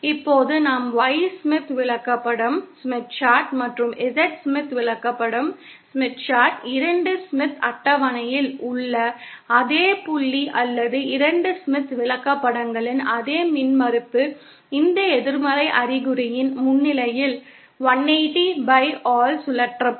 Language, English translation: Tamil, Now as we can see that the Y Smith chart and Z Smith chart, the same point on the 2 Smith charts or the same impedance of the 2 Smith charts will be rotated by 180¡ by virtue of the presence of this negative sign